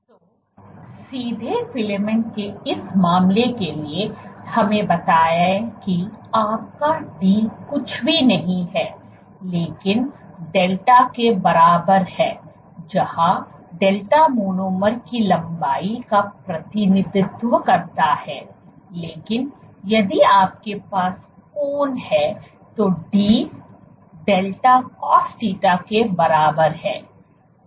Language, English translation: Hindi, So, for this case of a straight filament let us say your d is nothing, but equal to delta where the delta represents the monomer length, but if you have at an angle, then d is equal to delta cosθ